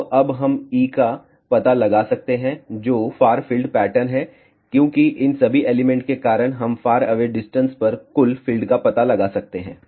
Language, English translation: Hindi, So, now, we can find out the E, which is far field pattern, because of all these elements we can find the total field at a faraway distance